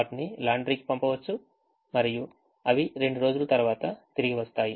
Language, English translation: Telugu, they can be send to a laundry and they come back after couple of days